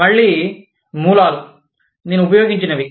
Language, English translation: Telugu, Again, the sources, that I have used